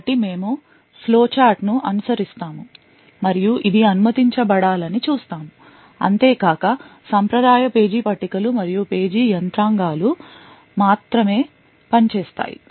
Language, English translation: Telugu, So, we will follow the flowchart and see that this should be permitted and only the traditional page tables and page mechanisms would work